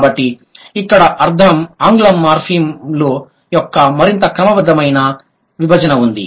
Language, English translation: Telugu, This is the classification of English morphims